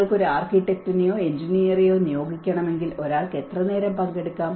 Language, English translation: Malayalam, If you have to engage an architect or an engineer, how long one can engage